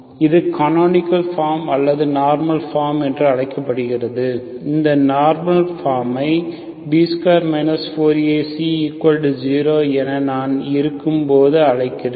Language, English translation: Tamil, So this is also called canonical form or normal form, okay, we call this normal form when B square 4 AC equal to 0